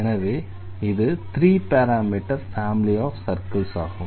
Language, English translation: Tamil, So, this is the 3 parameter family of circles